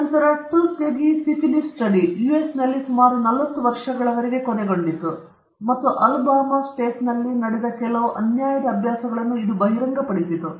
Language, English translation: Kannada, Then, the Tuskegee Syphilis Study which lasted for nearly about forty years in the US, and which also exposed some grossly unethical practices that took place in the state of the Alabama